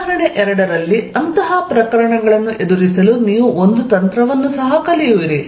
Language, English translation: Kannada, In example 2, you will also learn a trick to deal with such cases